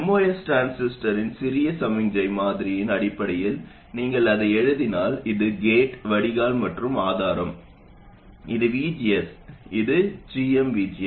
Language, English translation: Tamil, If you write it in terms of the small signal model of the most transistor, this is the gate, drain and source, this is VGS, and this is GM VGS